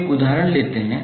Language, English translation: Hindi, Now let’s take one example